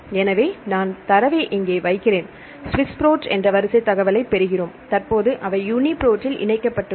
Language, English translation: Tamil, So, I put the data here, we get the sequence information SwissProt, currently they merged to UniProt right